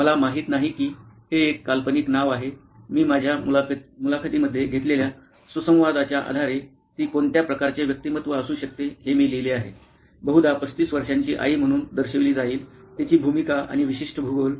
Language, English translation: Marathi, I do not know them this was a fictional name, I wrote down what kind of personality she could be based on the interactions that I had in my interviews probably shows up as a 35 year old mom, her role and particular geography